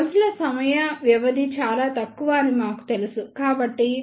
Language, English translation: Telugu, Since we know that the time duration for these pulses is very less